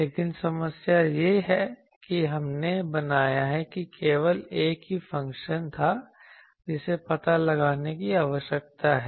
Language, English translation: Hindi, But the problem is you see that we have created that there was only one function which needs to be found out